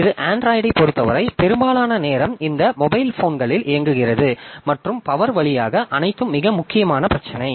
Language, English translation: Tamil, So this, because for Android, most of the time, it is working on these mobile phones and all where power is a very important issue